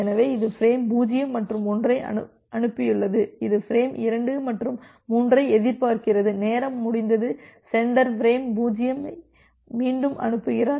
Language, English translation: Tamil, So, it has sent frame 0 and 1 and so, it is expecting frame 2 and 3, but if there is a time out here the sender retransmits frame 0